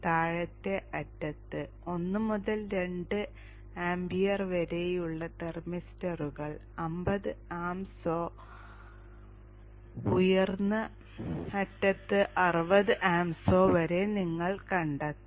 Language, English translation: Malayalam, You can find thermisters ranging from 1 to 2 amp, the lower end up to 50 amps or 60 amps at the higher end